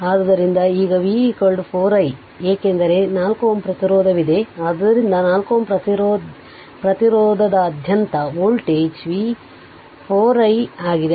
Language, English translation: Kannada, So, now V is equal to your 4 i because ah 4 ohm resistance is there, so across 4 ohm resistance the voltage is V is equal to 4 i